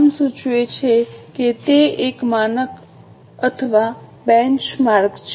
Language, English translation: Gujarati, As the name suggests, it is a standard or a benchmark